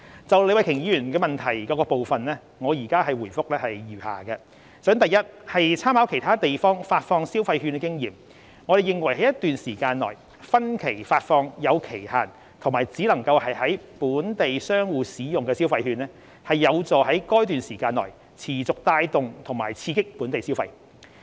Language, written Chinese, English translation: Cantonese, 就李慧琼議員質詢的各部分，我現回覆如下：一參考其他地方發放消費券的經驗，我們認為在一段時間內分期發放有期限及只能在本地商戶使用的消費券，有助在該段時間內持續帶動及刺激本地消費。, My reply to the different parts of the question raised by Ms Starry LEE is as follows 1 Making reference to the experiences of other economies in issuing consumption vouchers we consider that consumption vouchers with a validity period disbursed by instalments over a period of time and limited for use in local merchants could continuously drive and stimulate local consumption during the particular period